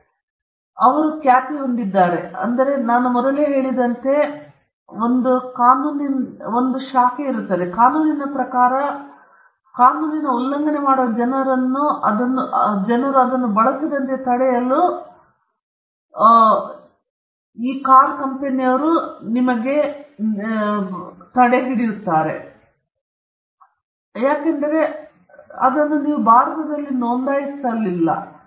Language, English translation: Kannada, And they have a reputation, and there is another branch of law, as I mentioned earlier, a law of passing off can come to Ikea’s rescue to stop people from using it, though they may not have business here and they may not have registered it in India